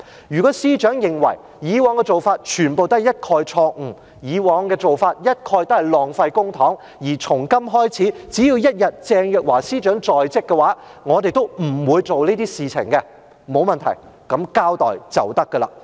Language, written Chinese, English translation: Cantonese, 如果司長認為，以往的做法，全部都是錯誤；以往的做法，一概都是浪費公帑，而從今開始，只要鄭若驊一日在職，我們都不會做這些事情，那麼，沒問題，作交代便可以。, If the Secretary holds that the past practice was all wrong and wasteful of public money and that from now on as long as Teresa CHENG remains in office we will not do such things then there should not be any problem provided that an explanation is given